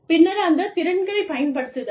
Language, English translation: Tamil, And then, utilizing those skills